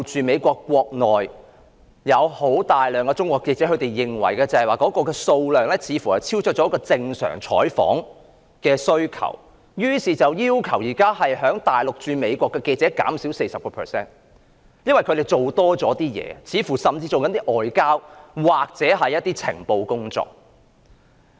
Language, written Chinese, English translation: Cantonese, 美國國內有大量中國記者，數量似乎超出正常採訪的需求，美國政府數天前要求大陸駐美國記者減少 40%， 因為這些記者似乎在做外交或情報工作。, There are a large number of Chinese journalists in the United States and the number seems to have exceeded that required for normal news coverage . The government of the United States demanded several days ago that Mainland journalists stationed in the United States be reduced by 40 % as these journalists seemed to be engaging in diplomacy or intelligence collection